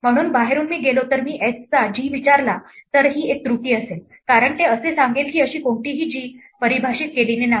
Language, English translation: Marathi, So, from outside if I go if I ask g of x at this point this will be an error, because it will say there is no such g defined